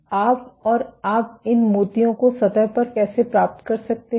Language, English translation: Hindi, So, you might and how do you get these beads on the surface